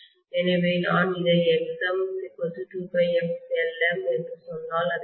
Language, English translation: Tamil, So if I say this Xm is equal to 2 pi f Lm, right